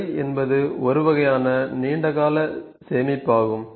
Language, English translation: Tamil, Store is a kind of a long time storage